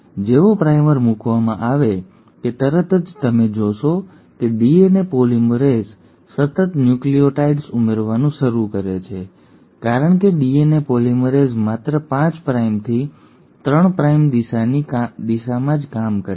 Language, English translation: Gujarati, As soon as the primer has been put in, thanks to the primase you find that the DNA polymerase continuously starts adding the nucleotides because DNA polymerase works only in the direction of a 5 prime to 3 prime direction